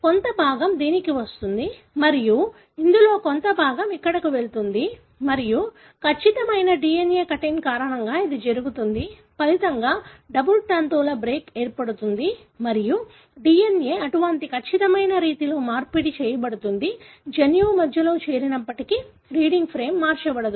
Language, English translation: Telugu, In this a part of this come to this and a part of this goes here and this happens because of a precise DNA cutting; resulting in a double stranded break and the DNA is exchanged in such a precise way, even if the joining takes place in the middle of the gene, the reading frame is not altered